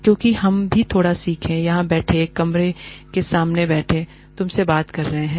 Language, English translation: Hindi, Because, we also learn quite a bit, sitting here, sitting in front of a camera, talking to you